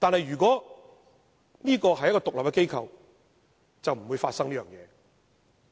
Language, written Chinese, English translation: Cantonese, 如果它是一個獨立機構，便不會發生這種問題。, If it is an independent organization such a problem will not arise